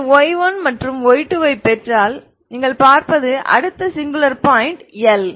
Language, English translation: Tamil, If you get y 1 and y 2, what you see is upto the next singular point that is L